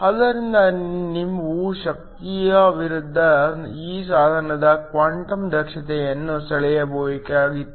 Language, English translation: Kannada, So, you were to draw the quantum efficiency of this device versus the energy